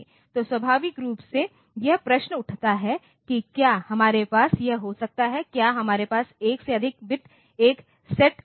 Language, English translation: Hindi, So, naturally it raises the question that can we have this, can we have more than 1 bit set to 1